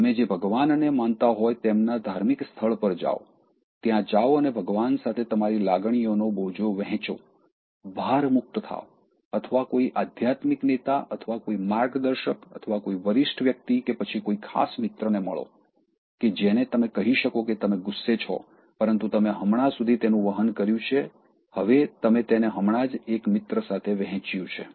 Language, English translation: Gujarati, Go to a place of worship whichever God you are fond of, go there and share your emotional burden with God, shed the load or meet a spiritual leader or simply a mentor or just a senior person or just a close friend with whom you can say that you are angry, but you just carried it and then you just shared it with a friend